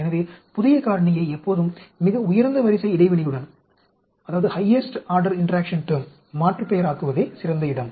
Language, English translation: Tamil, So, best place is to always alias the new factor with the highest order interaction term